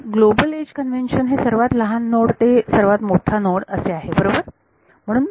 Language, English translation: Marathi, My global edge convention is smaller node to larger node ok